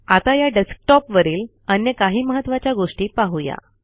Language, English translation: Marathi, Now lets see some more important things on this desktop